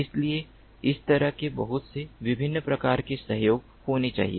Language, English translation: Hindi, so, like this, lot of different types of cooperation has to happen